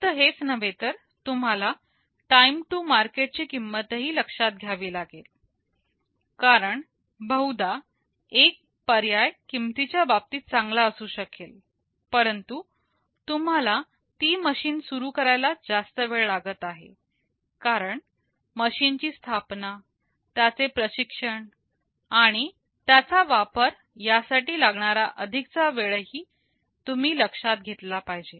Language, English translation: Marathi, Not only that you will also have to consider the time to market cost, because may be means one choice is good in terms of cost, but you are taking a long time to start that machine, because installing, training and just using that machine is requiring much more time that also you also have to need to consider